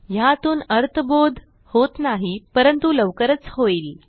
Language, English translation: Marathi, This doesnt seem to make any sense but it will soon